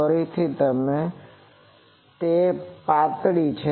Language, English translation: Gujarati, Again you see it is a thin one